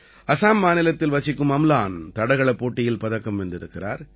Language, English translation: Tamil, Amlan, a resident of Assam, has won a medal in Athletics